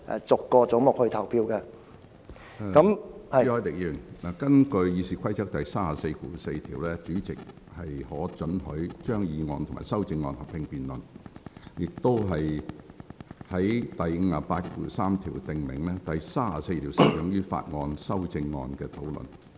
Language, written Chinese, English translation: Cantonese, 朱凱廸議員，根據《議事規則》第344條，主席可准許就議案及其修正案進行合併辯論，而第583條訂明，第34條適用於法案修正案的討論。, Mr CHU Hoi - dick under Rule 344 of the Rules of Procedure RoP the President or Chairman may allow a joint debate on a motion and its amendments and Rules 583 provides that Rule 34 shall apply to the discussion of amendments to bills